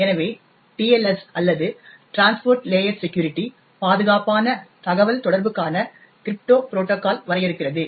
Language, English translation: Tamil, So, the TLS or the transport layer security defines a crypto protocol for secure communication